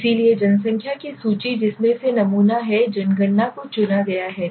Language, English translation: Hindi, So listing of population from which is sample is chosen so entire census okay